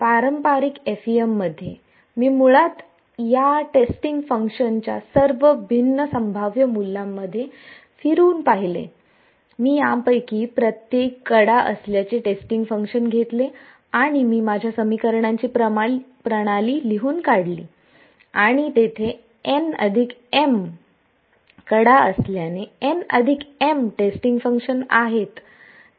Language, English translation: Marathi, In the traditional FEM, I basically cycled through all different possible values of these testing functions, I took the testing function to be each one of these edges and I wrote down my system of equations and since there are n plus m edges there are n plus m testing functions